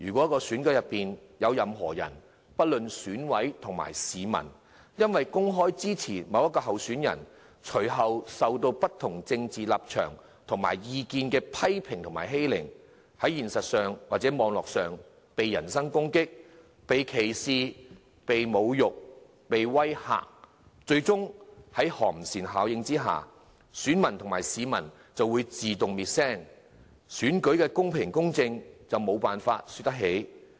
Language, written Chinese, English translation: Cantonese, 在選舉過程裏，不論是選委或市民因為公開支持某位候選人，而受到不同政治立場及意見的人批評及欺凌，在現實或網絡上被人身攻擊、歧視、侮辱、威嚇，在寒蟬效應之下，選民及市民最終會自動滅聲，選舉的公平、公正亦無從說起。, During the election process EC members or the public who openly express their support for certain candidates have been subjected to criticisms and bullying by people having different political positions or views in the form of personal attack discrimination insults or threats in the real or cyber world . As a result of the chilling effect EC members or the public have to keep their mouth shut a fair and equitable conduct of election is thus vanished